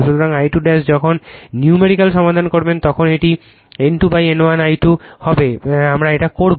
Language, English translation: Bengali, So, I 2 dash when you solve the numerical it will be N 2 upon N 1 I 2 this we will do